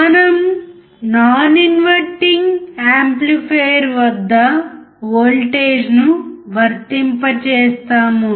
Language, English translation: Telugu, We apply voltage at the non inverting amplifier